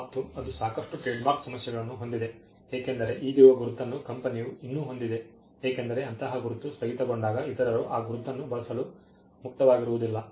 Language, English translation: Kannada, And that has whole lot of trademark issues, because the existing mark is still held by the company, because they do not want others when a mark like that is discontinued, it will not be opened for others to use that mark